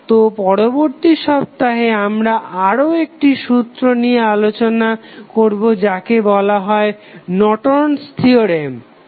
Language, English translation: Bengali, So, next week we will start with another theorem which is called as Norton's Theorem, thank you